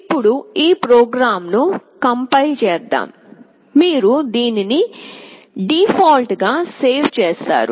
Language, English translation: Telugu, Now, let me compile this program, you save it by default